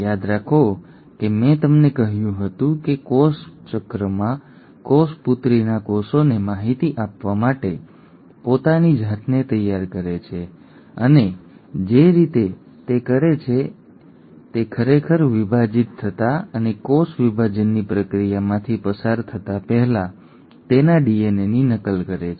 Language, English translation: Gujarati, Remember I told you that in cell cycle a cell prepares itself to pass on the information to the daughter cells and the way it does that is that it first duplicates its DNA before actually dividing and undergoing the process of cell division